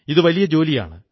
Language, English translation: Malayalam, This is an enormous task